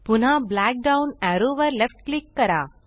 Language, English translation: Marathi, Left click the black down arrow again